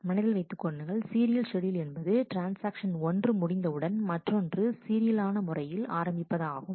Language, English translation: Tamil, Just to remind you serial schedule is one where the transactions are happened one after the other in a serial manner